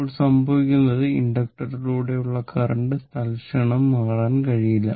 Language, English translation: Malayalam, Now what will happen that your; that means, current through inductor cannot change instantaneously